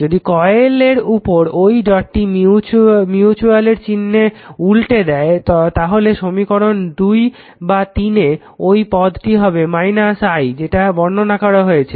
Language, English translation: Bengali, If that dot on one coilreverse the sign of the mutual, they you are the term either in equation 2 or in equation 3 will be minus I explain everything to you